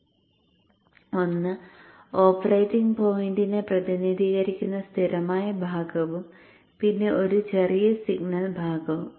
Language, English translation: Malayalam, One is a constant part representing the operating point plus a very small signal part